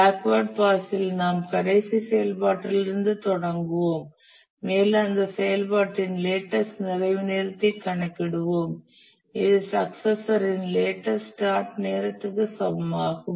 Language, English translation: Tamil, In backward pass, we start from the last activity and here we compute the latest completion time of the activity which is equal to the latest start time of its successor